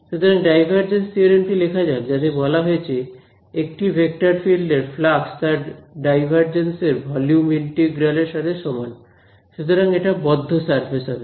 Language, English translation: Bengali, So, divergence theorem said that the flux of a vector field is equal to the divergence of I mean the volume integral of this right so closed surface this